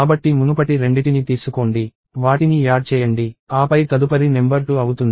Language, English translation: Telugu, And so take the previous 2, add them, and then the next number is 2